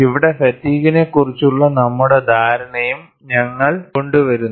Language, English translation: Malayalam, And here, we also bring in our understanding on fatigue